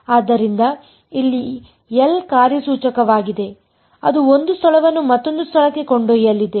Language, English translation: Kannada, So, L over here is the operator that takes one space to another space